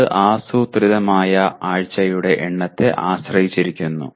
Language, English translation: Malayalam, It depends on the number of planned week